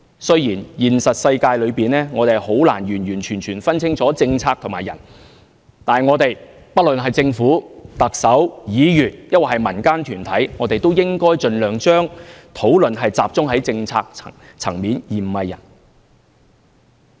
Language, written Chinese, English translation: Cantonese, 雖然現實世界中，我們很難完完全全分清楚政策和人，但不論政府、特首、議員，或民間團體，也應盡量把討論集中在政策層面而非人。, In the real world we can hardly draw a line between the policy and the person . But instead of focusing on the person be it the Government the Chief Executive Members or local groups we should focus our discussions on the policy level